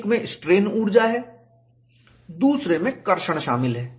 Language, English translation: Hindi, You have two terms; one involving strain energy; another involving traction